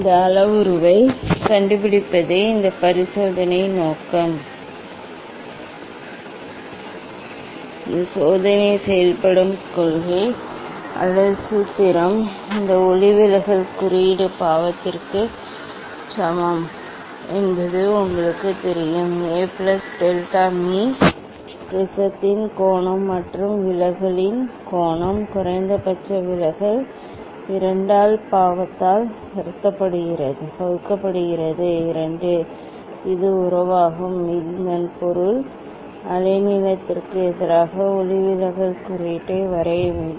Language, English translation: Tamil, aim of this experiment is to find out of this parameter, working principle or formula for this experiment is you know this refractive index is equal to sin A plus delta m; angle of prism plus angle of deviation minimum deviation divide by 2 divide by sin A by 2, this is the relation so that means, to draw refractive index versus wave length